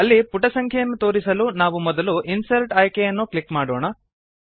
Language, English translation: Kannada, To display the page number in the footer, we shall first click on the Insert option